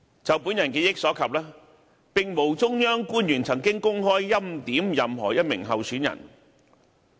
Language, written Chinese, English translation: Cantonese, 就我記憶所及，並無中央官員曾公開"欽點"任何一名候選人。, As I remember no official of the Central Authorities has ever openly preordained a certain candidate